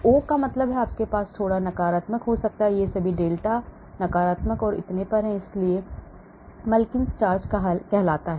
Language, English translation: Hindi, O means you may have negative slightly, they are all delta, delta negative and so on, so that is called Mulliken charge,